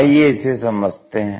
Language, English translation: Hindi, So, let us look at that